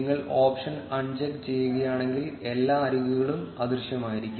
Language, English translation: Malayalam, If you uncheck the option, all the edges will be invisible